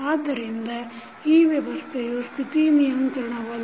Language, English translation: Kannada, So, therefore this system is not state controllable